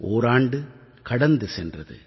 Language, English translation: Tamil, An entire year has gone by